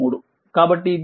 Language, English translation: Telugu, So, multiply this